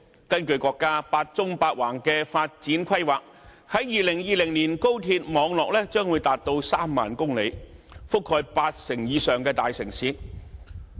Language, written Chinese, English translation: Cantonese, 根據國家"八縱八橫"的發展規劃，在2020年，高鐵網絡將會長達3萬公里，並覆蓋八成以上的大城市。, In accordance with the countrys plan to develop a high - speed rail network of eight horizontal lines and eight vertical lines by 2020 the national HSR network will reach 30 000 km and cover over 80 % of major cities